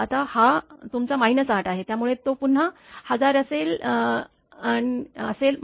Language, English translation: Marathi, Now, this is your minus 8, so it will be 1000 again minus 1